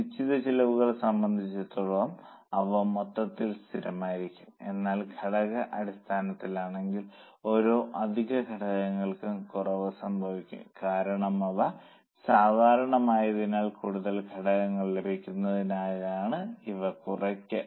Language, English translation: Malayalam, As far as fixed costs are concerned, they are going to be constant at a total but on per unit basis they go on reducing for every extra unit because they are common in total they will go on reducing for more units